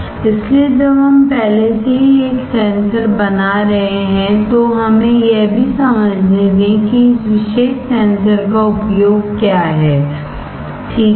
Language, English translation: Hindi, So, when we are already making a sensor let us also understand what is a use of this particular sensor, right